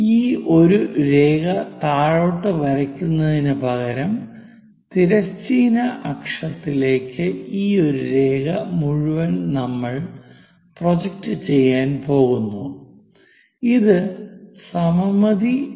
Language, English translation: Malayalam, Instead of drawing dropping this one line all the way down, we are going to project this all the way this one line onto horizontal axis; it is more like by symmetry